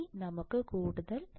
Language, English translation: Malayalam, Now let us see further